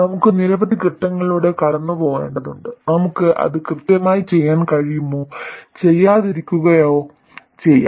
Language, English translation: Malayalam, We have to go through several steps and we may or may not be able to do it exactly